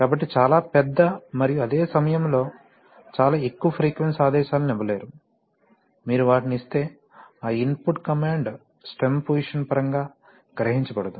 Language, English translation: Telugu, So therefore you cannot give very large and at the same time very high frequency commands, if you give them then that input command will not be realized in terms of stem position